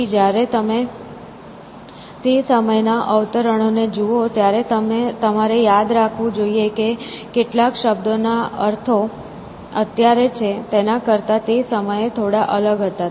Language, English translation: Gujarati, So, one thing, when you look at the quotations from these times you must remember that some of the meanings of the words are a little bit different from what they are know essentially